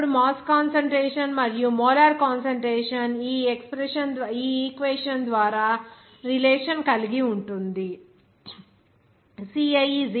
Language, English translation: Telugu, Then the mass concentration and molar concentration can be related by this equation